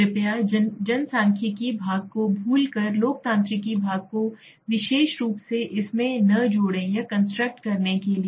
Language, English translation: Hindi, Forgetting the demographic part please, do not add the democratic part into it specifically it to the construct